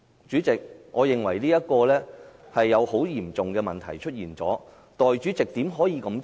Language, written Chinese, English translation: Cantonese, 主席，我認為這是個很嚴重的問題，代理主席怎可以這樣做？, President in my view this arrangement has posed a very serious problem . How could the Deputy President do that?